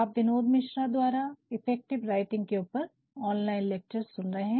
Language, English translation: Hindi, You are listening to online lectures on effective writing by Binod Mishra